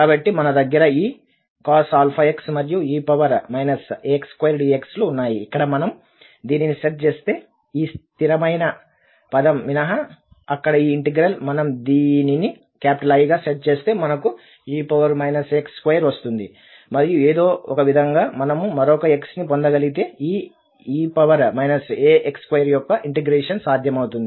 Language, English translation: Telugu, So, then we have this cos alpha x and e power minus a x square dx, where if we set this, the integral there except this constant term, we set this as I and then we know the trick that if we have this e power minus a x square and somehow we can manage to get one more x there then the integration of this e power minus a x square is possible